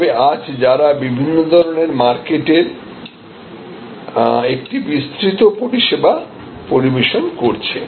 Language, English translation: Bengali, But, today they are serving a very wide range of different types of markets